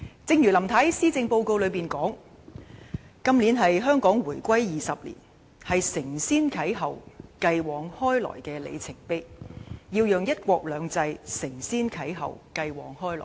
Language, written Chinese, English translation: Cantonese, 正如林太在施政報告中提到，"今年是香港回歸祖國20年，是承先啟後，繼往開來的里程碑"，我們要讓"一國兩制"承先啟後，繼往開來。, As stated in the Policy Address [t]his year marks the 20 anniversary of Hong Kongs return to the Motherland a milestone for us to build on our achievements and begin a new chapter of development . In regard to one country two systems we should build on our achievements and begin a new chapter of development